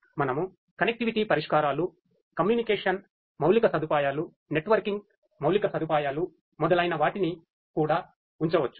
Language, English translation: Telugu, We can also place the connectivity solutions, the communication infrastructure, networking infrastructure and so on